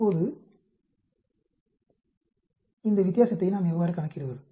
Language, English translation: Tamil, Now how do we quantify this difference